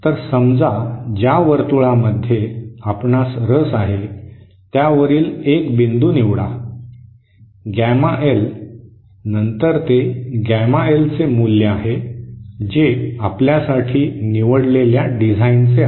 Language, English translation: Marathi, So suppose this is the gain circle that you are interested in, select a point, gamma L then that is the value of gamma L that you choose for your design